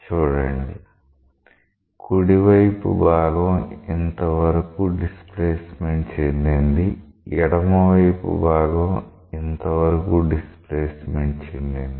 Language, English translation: Telugu, See the right hand phase has got displaced by this amount; the left hand phase has got displaced by this amount